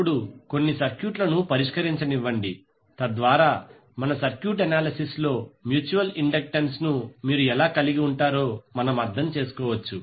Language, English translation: Telugu, Now let solve few of the circuits so that we can understand how you can involve the mutual inductance in our circuit analyses